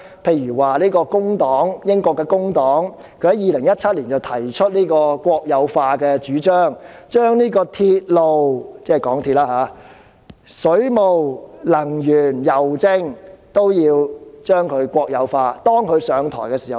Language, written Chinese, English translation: Cantonese, 以如英國工黨為例，它於2017年提出國有化的主張，建議將鐵路、水務、能源、郵政國有化，待該黨上台時便會落實。, Take the case of the Labour Party of the United Kingdom as an example . In 2017 it put forth the idea of nationalization proposing the nationalization of railways ie . MTRCL water supply services energy supply services and postal services which would be implemented when the party takes power